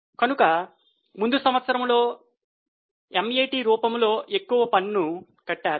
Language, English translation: Telugu, So, in the earlier year they have paid more tax as a MAT